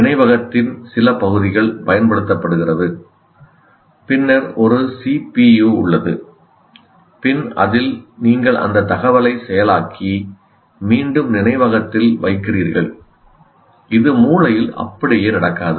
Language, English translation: Tamil, There is some part of the memory is used and then there is a CPU, then you process that information and put it back in the memory